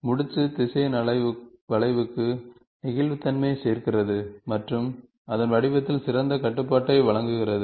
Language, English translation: Tamil, The knot vector adds flexibility to the curve and provides better control of its shape